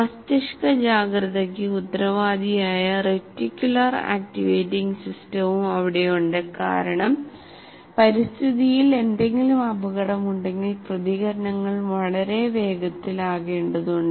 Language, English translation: Malayalam, It also houses the reticular activating system responsible for brain's alertness because reactions have to be very fast if there is any danger in the environment